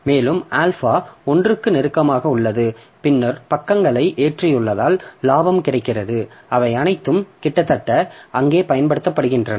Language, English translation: Tamil, And the alpha is close to 1, then we have gained because we have loaded the pages and they all are almost all of them are being